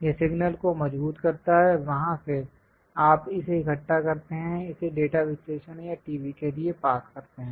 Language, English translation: Hindi, That strengthens the signal; from there, you collect it, pass it for data analysis or for the TV